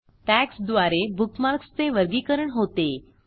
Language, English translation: Marathi, * Tags help us categorize bookmarks